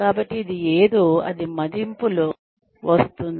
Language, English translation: Telugu, So, this is something, that comes up in appraisals